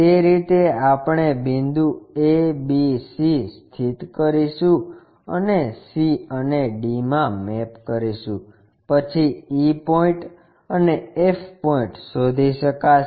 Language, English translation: Gujarati, In that way we can locate, point a, b, c map to c, d, then e point maps to e, and f point